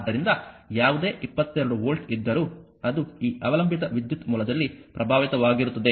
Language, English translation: Kannada, So, whatever 22 volt is there that will be impressed across this dependent current source